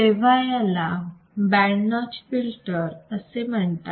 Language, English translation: Marathi, Then it is called band notch filter